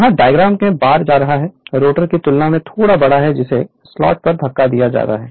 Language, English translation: Hindi, There the bar was showing in the diagram right, slightly larger than the rotor which are pushed into the slot